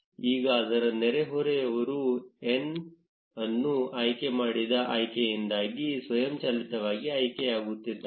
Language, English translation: Kannada, Now it's neighbors are automatically getting selected because of an option which has been opted n